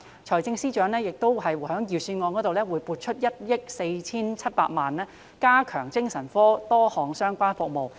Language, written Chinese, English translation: Cantonese, 財政司司長亦在預算案中撥出1億 4,700 萬元，加強多項精神科相關服務。, FS also allocates 147 million in the Budget for enhancing a number of psychiatry - related services